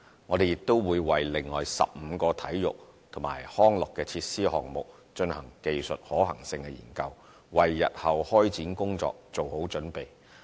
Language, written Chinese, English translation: Cantonese, 我們亦會為另外15個體育及康樂設施項目進行技術可行性研究，為日後開展工作做好準備。, Besides we will also conduct technical feasibility study for another 15 sports and recreation facility projects to prepare for their future implementation